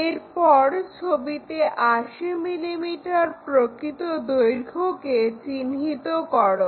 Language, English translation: Bengali, Now, locate 80 mm true length, 80 mm true length on that picture